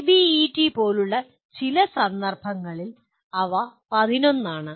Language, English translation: Malayalam, In some cases like ABET they are 11